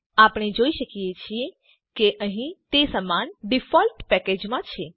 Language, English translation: Gujarati, We can see that here they are in the same default package